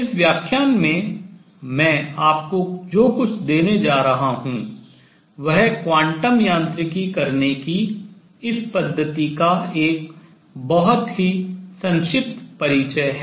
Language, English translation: Hindi, What I am going to give you in this lecture is a very brief introduction to this method of doing quantum mechanics